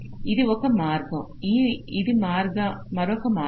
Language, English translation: Telugu, this is one path, this is another path